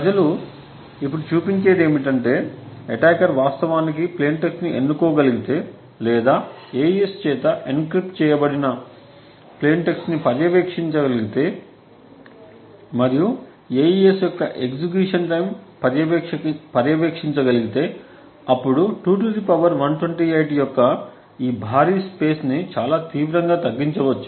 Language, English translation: Telugu, What people now show is that if an attacker is able to actually choose plain text or monitor the plain text that are being encrypted by AES and also monitor the execution time of AES then this huge pace of 2 power 128 can be reduced quite drastically